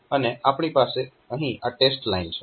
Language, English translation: Gujarati, So, we have got this test line